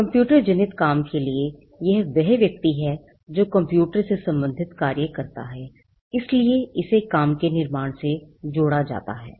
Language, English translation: Hindi, For computer generated work it is the person who causes the work to be created, so again it is tied to the creation of the work